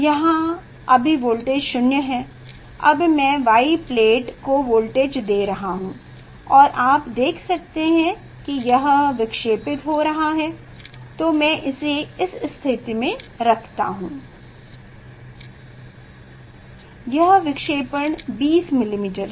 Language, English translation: Hindi, here now voltage is 0; it is a 0 voltage Now, I am giving voltage to the Y plate, and you can see this it is moving ok; say it is I will keep at this position, this shifting is 20 millimetres